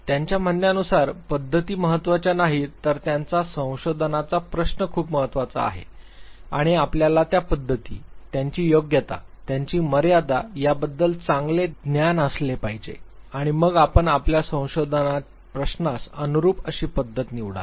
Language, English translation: Marathi, Methods are not important per say rather their research question is far more important, and you have to have a good understanding of the methods, their appropriateness, their limitations, and then you choose the method which actually suites your research question